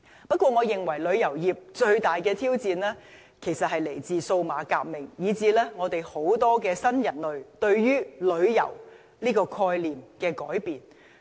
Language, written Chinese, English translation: Cantonese, 不過，我認為旅遊業最大的挑戰其實是來自數碼革命，以致很多新人類對旅遊概念的改變。, Nevertheless I think the biggest challenges encountered by the tourism industry actually come from the digital revolution and the change in young peoples concept of travelling